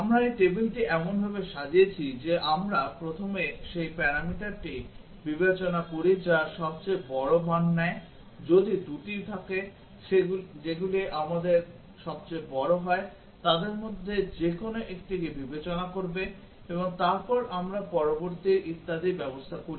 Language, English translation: Bengali, We arrange this table such that we first consider the parameter which takes the largest value if there are 2 which take largest will consider any 1 of them and then we arrange the next 1 and so on